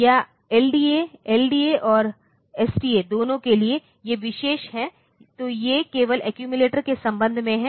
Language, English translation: Hindi, Or the LDA is for either LDA and STA, these are special so, these are with respect to accumulator only